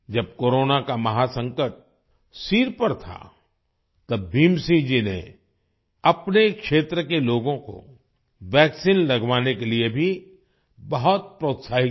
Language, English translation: Hindi, When the terrible Corona crisis was looming large, Bhim Singh ji encouraged the people in his area to get vaccinated